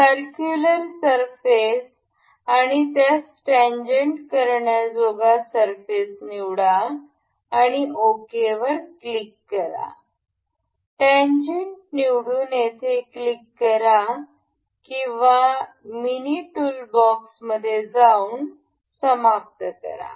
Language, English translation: Marathi, Select the circular surface and the surface it has to be tangent upon, and we will click ok, selecting tangent, we click ok here or either in the mini toolbox, finish